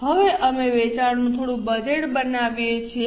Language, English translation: Gujarati, Now, we make some budget of sales